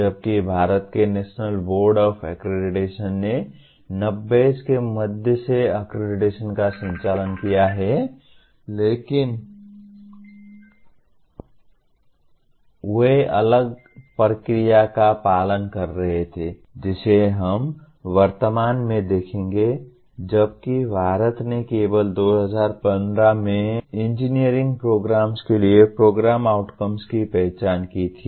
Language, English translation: Hindi, Whereas National Board of Accreditation of India has been conducting accreditation also from middle ‘90s but they were following a different process we will presently see whereas India identified the program outcomes for engineering programs only in 2015